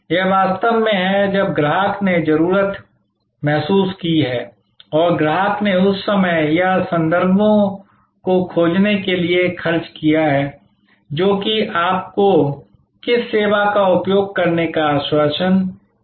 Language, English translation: Hindi, This is actually when the customer has felt the need and customer has spend the time or references to find that which service you assured like to use